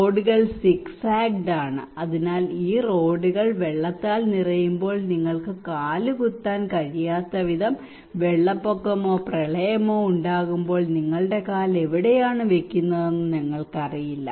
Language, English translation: Malayalam, And the roads are zig zagged, so when these roads are filled by water and then during the flood or inundations that you cannot step in we do not know where you are putting your leg okay